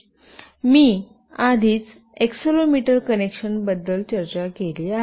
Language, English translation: Marathi, I have already discussed about the accelerometer connection